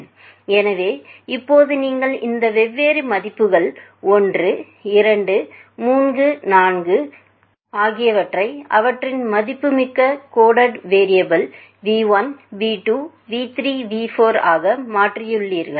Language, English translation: Tamil, So, now you have converted all these different values 1, 2, 3, 4 into their respected coded variable as you can see v1, v2, v3, v4, so on so far